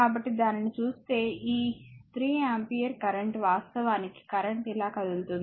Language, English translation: Telugu, So, if you look into that this 3 ampere current actually if current is moving like this moving like this